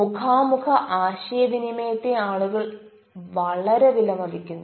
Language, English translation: Malayalam, people very, really appreciate face to face communication